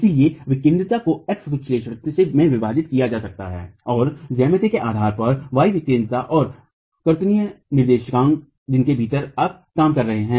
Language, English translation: Hindi, This eccentricity can be broken down into x execentricity and y eccentricity based on the geometry and the Cartesian coordinates within which you are working